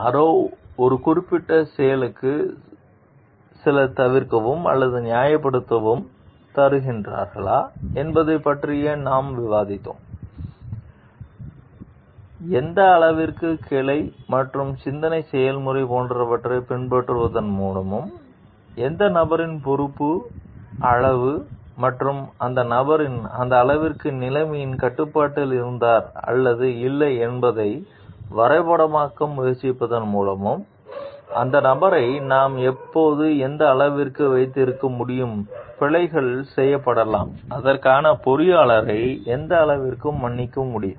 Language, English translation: Tamil, And we have also discussed about if somebody gives certain excuse or justification for a certain acts then, to what extent by following like branching and process of thought and trying to map with the degree of responsibility of the person and the extent to which the person was in control of the situation or not; how can we hold the person to what extent we can hold the person responsible for the, may be errors done and to what extent we can excuse the engineer for it